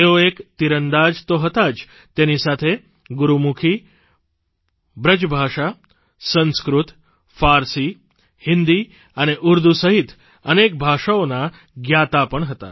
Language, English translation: Gujarati, He was an archer, and a pundit of Gurmukhi, BrajBhasha, Sanskrit, Persian, Hindi and Urdu and many other languages